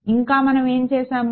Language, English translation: Telugu, What else did we do